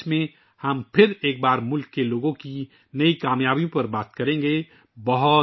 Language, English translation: Urdu, In 2024 we will once again discuss the new achievements of the people of the country